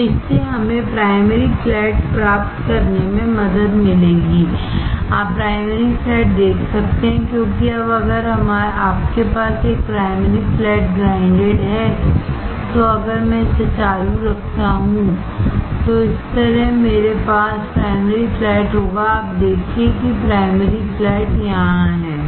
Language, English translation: Hindi, So, this will help us to get the primary flat, you see primary flat because now if you have 1 of the primary flat grinded, if I keep on slicking it, like this